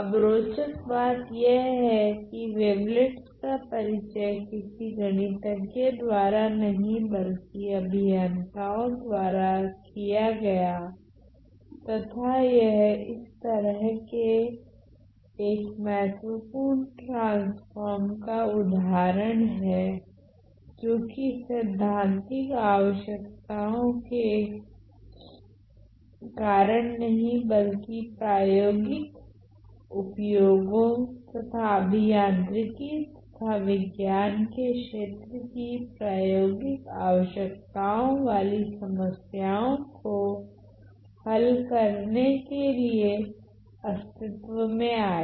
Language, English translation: Hindi, Now the Introduction of Wavelets interestingly was not done by any mathematician, but engineers and this is one prime example of a transform that came into existence not because of the theoretical requirement, but because of the practical applications, practical needs of solving certain problems in domains of engineering and science